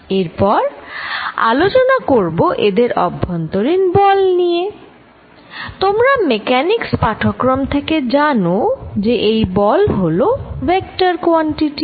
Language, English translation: Bengali, Then, the force between them the magnitude force of course, you know from your Mechanics course that force is a vector quantity